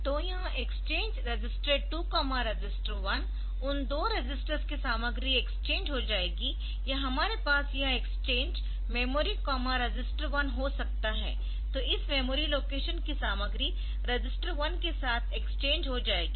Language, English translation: Hindi, So, this exchange register 2 register 1, the content of those two registers will get exchanged or we can have this exchange memory comma register 1 the content of this memory location will get exchanged with register 1